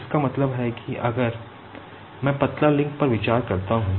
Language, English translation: Hindi, That means if I consider the slender link